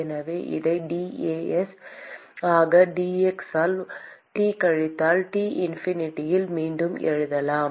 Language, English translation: Tamil, So, therefore, we can rewrite this as dAs by dx into T minus T infinity